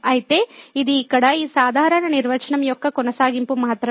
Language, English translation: Telugu, So, this is just the continuation of this rather general definition here